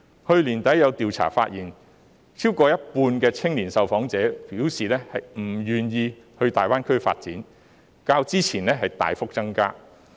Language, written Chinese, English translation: Cantonese, 去年年底，有調查發現，超過一半的青年受訪者表示不願意到大灣區發展，比例較之前大幅增加。, At the end of last year a survey found that more than half of the young people interviewed indicated that they were unwilling to pursue development in GBA showing a significant increase in comparison with the percentage in the past